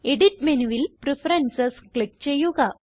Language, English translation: Malayalam, Go to Edit menu, navigate to Preferences and click on it